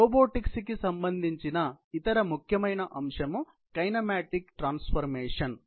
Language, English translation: Telugu, So, the other important aspect in robotics is obviously, about the kinematic transformations